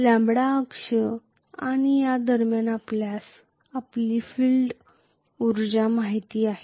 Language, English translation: Marathi, Between the lambda axis and this was you know your field energy